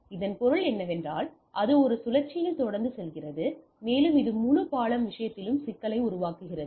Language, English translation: Tamil, So that means, it goes on learning it goes on in a loop, and that creates a problem in the whole bridging thing